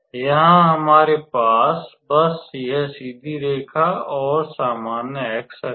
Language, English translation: Hindi, Here, we just have this straight line and the usual coordinate x axis